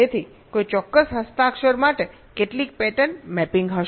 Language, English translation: Gujarati, so for any particular signature, how many patterns will be mapping